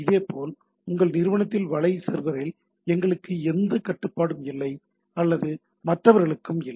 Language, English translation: Tamil, Similarly, in your organization web server, we do not have any control or the other people